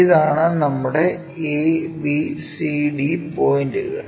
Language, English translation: Malayalam, So, your A point, B point, C and D points